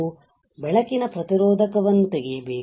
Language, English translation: Kannada, I have to remove the photoresist